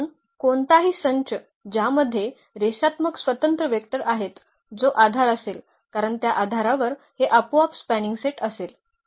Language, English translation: Marathi, So, any set which has n linearly independent vectors that will be a basis because for the for the basis these will automatically will be the spanning set